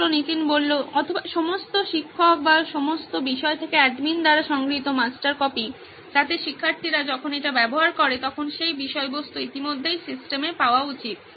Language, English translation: Bengali, Or the master copy that has been collected by the admin from all the teachers or all subjects, so that content should already be available on the system when the student accesses it